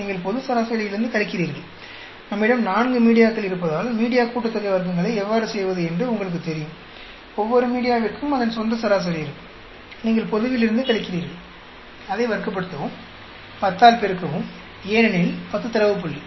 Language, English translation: Tamil, You are subtracting from the global average; you know how to do the media sum of squares because we have four media, each media will have its own mean; you subtract from the global; square it up, multiply by 10, because 10 data point